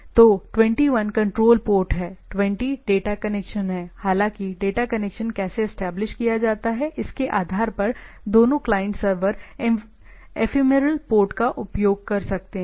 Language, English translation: Hindi, So, 21 is the control port 20 is the data connection; however, depending on how the how the data connection is established, both the client server might be might use ephemeral ports